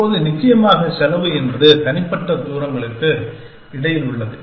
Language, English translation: Tamil, Now, the cost of course depends on the individual distances between